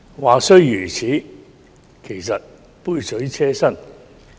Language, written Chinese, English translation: Cantonese, 話雖如此，但這些調整其實只是杯水車薪。, That said these adjustments were merely a drop in the bucket